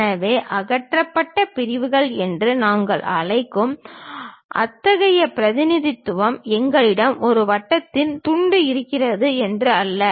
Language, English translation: Tamil, So, such kind of representation what we call removed sections; it is not that we have a slice of circle there